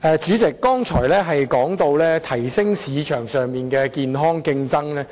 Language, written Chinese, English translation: Cantonese, 主席，我剛才說到提升市場上的健康競爭。, President just now I was talking about promoting healthy market competition